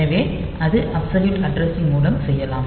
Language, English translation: Tamil, So, that is by means of absolute addressing